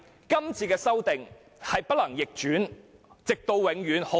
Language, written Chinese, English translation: Cantonese, 今次的修訂很大機會無法逆轉，直到永遠。, There is a high chance the amendments made this time around are irreversible which will last forever